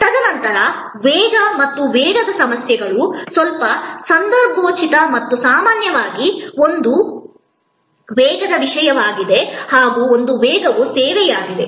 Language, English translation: Kannada, And then speed and the speed issues of course, the little contextual and we normally one speed is service